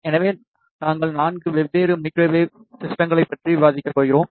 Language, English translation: Tamil, So, we are going to discuss 4 different Microwave Systems